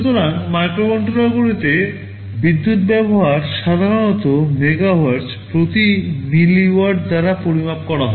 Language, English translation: Bengali, So, power consumption in microcontrollers areis typically measured by milliwatt per megahertz ok